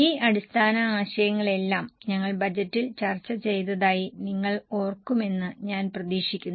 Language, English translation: Malayalam, I hope you remember we have discussed all these basic concepts on budget